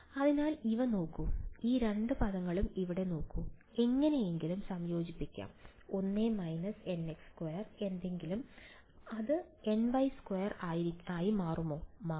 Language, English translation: Malayalam, So, look at these; look at these two terms over here, can may be combined somehow its 1 minus n x squared in 2 something, so that becomes n y squared